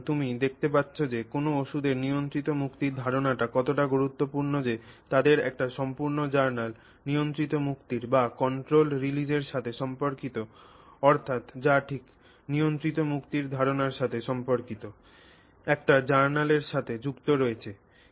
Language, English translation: Bengali, It is actually in the journal of controlled release So, you can see how important this idea of controlled release of a drug is that they have an entire journal associated with controlled release, just that concept of controlled release